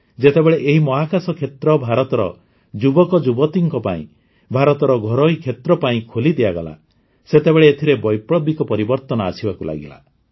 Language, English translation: Odia, Since, the space sector was opened for India's youth and revolutionary changes have started coming in it